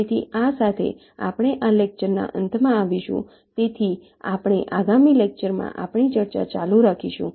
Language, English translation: Gujarati, so we shall be continuing with our discussion in the next lecture